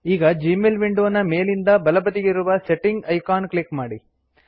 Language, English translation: Kannada, Click on the Settings icon on the top right of the Gmail window